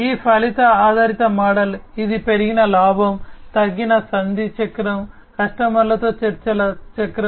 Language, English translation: Telugu, These outcome based model, it leads to increased profit margin, reduced negotiation cycle, negotiation cycle with the customer